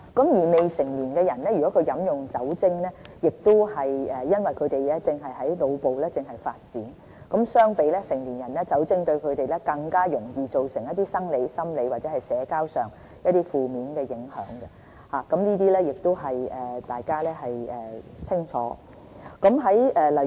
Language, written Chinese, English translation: Cantonese, 如果未成年人士飲用酒精，因為他們的腦部正在發展，相比成年人，酒精對他們更容易造成一些生理、心理或社交上的負面影響，這些大家都清楚。, In the case of adolescents as their brains are still developing alcohol will produce more severe effects on the body mind or social interaction when compared with the effects on adults . Members all know this very well